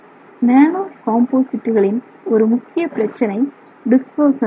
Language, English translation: Tamil, So, when you look at nano composites, one major issue is that of dispersion